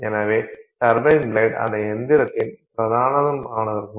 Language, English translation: Tamil, So, turbine engine, now the turbines of that engine